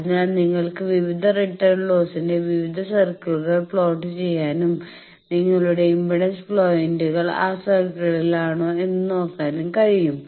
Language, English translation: Malayalam, So, you can plot locus various circles of various or various return losses and see that whether that your impedance points they are within that circle